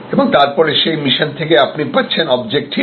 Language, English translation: Bengali, And then therefore, out of that mission you have objectives